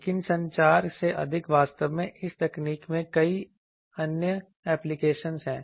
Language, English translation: Hindi, But, more than communication actually this technology has so many other applications